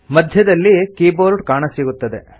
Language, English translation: Kannada, The Keyboard is displayed in the centre